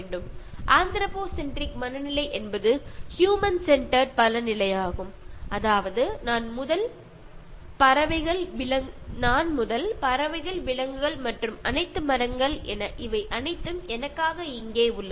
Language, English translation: Tamil, Anthropocentric mindset is human centered mind set that I am first, the birds and animals and all trees, the flora and fauna they are here for me